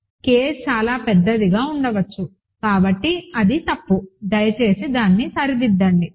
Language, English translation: Telugu, K can be much bigger, so that was wrong, so please correct that